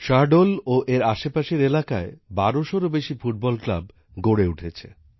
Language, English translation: Bengali, More than 1200 football clubs have been formed in Shahdol and its surrounding areas